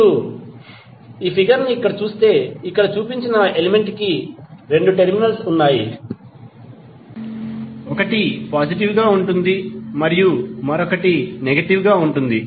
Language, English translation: Telugu, So, that is simply if you see this figure the element is represented here and now you have two terminals; one is positive another is negative